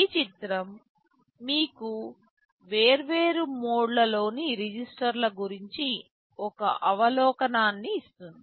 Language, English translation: Telugu, This diagram gives you an overview about the registers in the different modes